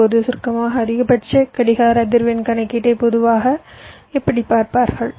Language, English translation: Tamil, now to summaries: maximum clock frequency calculation: whatever you have seen